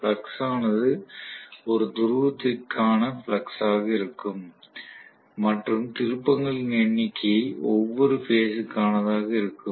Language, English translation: Tamil, So the flux will be corresponding to flux per pole and number of turns will be corresponding to every phase